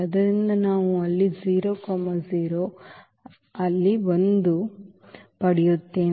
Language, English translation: Kannada, So, we will get 0 there, 0 there, 1 there